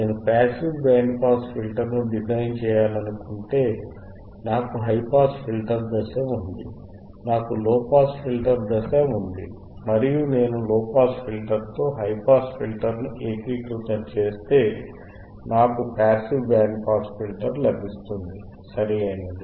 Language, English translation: Telugu, So,, I have a high pass filter stage, I have a low pass filter stage, and if I integrate high pass with low pass, if I integrate the high pass stage with low pass stage I will get a passive band pass filter, right